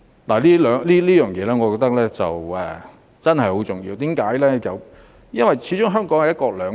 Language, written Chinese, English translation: Cantonese, 我認為這一點真的很重要，因為始終香港實行"一國兩制"。, I think this instruction is really important because after all one country two systems is being implemented in Hong Kong